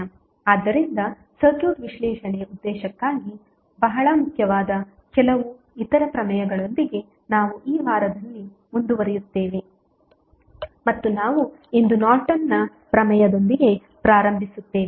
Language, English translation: Kannada, So, we will continue in this week with few other theorems which are very important for the circuit analysis purpose and we will start with Norton's Theorem today